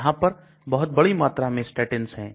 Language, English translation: Hindi, There are huge number of statins